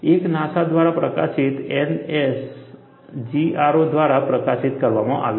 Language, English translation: Gujarati, One is by NASGRO, published by NASA